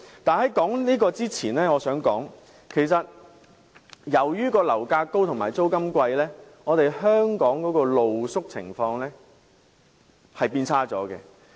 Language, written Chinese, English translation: Cantonese, 但在討論這句話前，我想提出的是由於樓價高企和租金高昂，香港的露宿情況已變得更差。, Before discussing this remark I would like to point out that the problem of street - sleeping in Hong Kong is worsening due to high property prices and rents